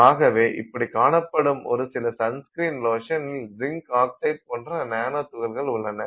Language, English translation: Tamil, Also related to us is the sunscreen with nanoparticles of zinc oxide